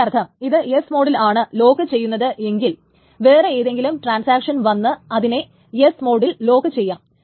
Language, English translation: Malayalam, So which means that what happens if this is locked in the S mode, then some other transaction may come and also lock it in the S mode because S to S is allowed